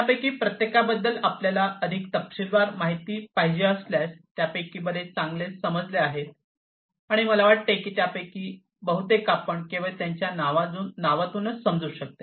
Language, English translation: Marathi, If you need to know in further more detail about each of these many of these are quite well understood, and you know I think most of them you can understand from these names alone